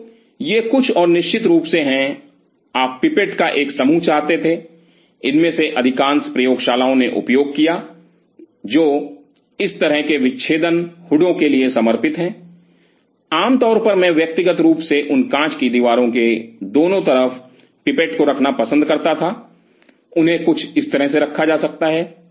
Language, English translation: Hindi, So, these are some of and of course, you wanted to have a bunch of pipettes which most of these labs used has dedicated ones for this kind of dissecting hoods, generally I personally used to prefer on those glass walls on both sides to have the pipettes can be kept something somewhere like this